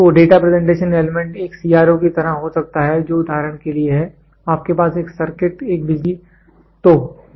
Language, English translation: Hindi, So, the Data Presentation Element can be like a CRO which is there for example, you had a circuit a power supply